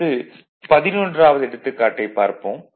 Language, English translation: Tamil, Now, example 11